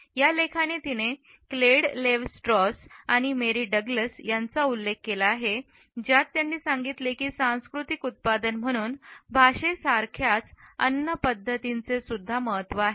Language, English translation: Marathi, In this article she has quoted Claude Levi Strauss and Mary Douglas who suggest that we can view food as adhering to the same practices as language as a cultural product